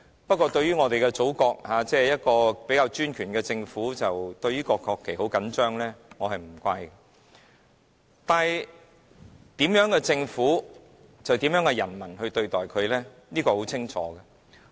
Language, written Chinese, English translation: Cantonese, 不過，在我們的祖國，一個比較專權的政府對國旗甚為緊張，我是不會怪責的，但政府怎樣行事，人民就會怎樣對待它，這是很清楚的。, In our Motherland however a relatively despotic government is rather sensitive about the national flag . I will not blame it but how the people treat their government depends on the way the latter acts . This is quite obvious